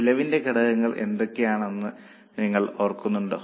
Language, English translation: Malayalam, Do you remember what are the elements of cost